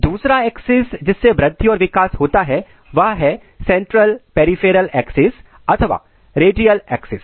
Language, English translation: Hindi, Second axis through which growth and development occurs is central peripheral axis or radial axis